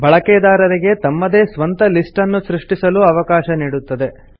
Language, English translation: Kannada, It also enables the user to create his own lists